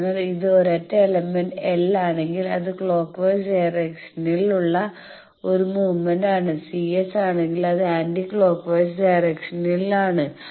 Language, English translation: Malayalam, So, if it is a single element L, it is a movement in the clock wise direction, if is A C S it is in the anti clockwise direction